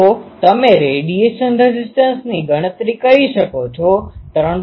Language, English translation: Gujarati, So, you can calculate the radiation resistance turns out to be 3